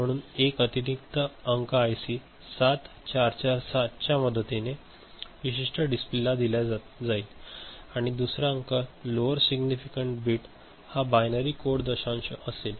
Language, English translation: Marathi, So, 1 digit will be fed from one particular fed through one IC 7447 to a display and another digit lower significant you know, the one this binary coded decimal ok